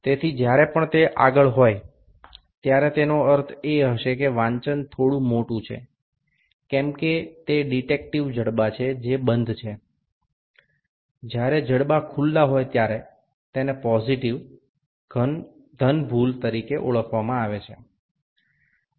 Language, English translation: Gujarati, So, whenever it is forward, it would mean that the reading is a little larger whether it of the detective jaws which are closed when the jaws are open in little this is known as positive error